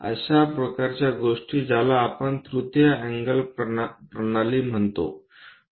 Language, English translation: Marathi, Such kind of things what we call third angle system